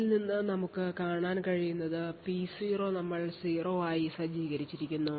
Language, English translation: Malayalam, So, from this what we can see is that P0 we have set to 0, P4 we have obtained 250, so P0 XOR P4 is equal to 50